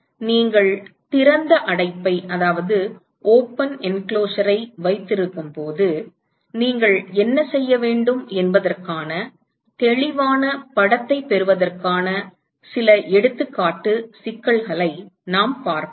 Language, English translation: Tamil, We will see some example problems where you will get a much more clear picture as to what you should do when you have a open enclosure all right